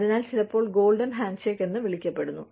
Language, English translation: Malayalam, So, sometimes referred to as, the golden handshake